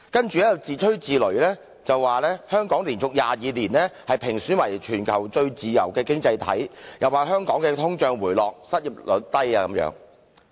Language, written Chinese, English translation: Cantonese, 接下來更自吹自擂地說，香港連續22年被評選為全球最自由的經濟體；更說香港的通脹持續回落，失業率極低等。, And it goes on blowing its own trumpet saying that Hong Kong has been rated the worlds freest economy for 22 consecutive years and that our inflation has been receding and that the unemployment rate has remained at a very low level so on and so forth